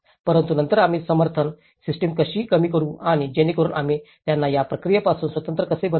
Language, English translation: Marathi, But then how we can reduce the support system and so that how we can make them independent of this process